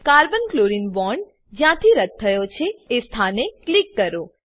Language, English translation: Gujarati, Click at the position from where Carbon chlorine bond was deleted